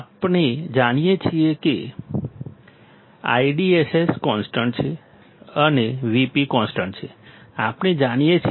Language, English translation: Gujarati, We know see I DSS is constant and V p is constant, we know